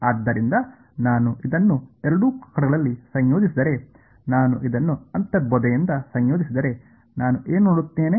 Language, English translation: Kannada, So, if I integrate this intuitively if I integrate this on both sides what will I see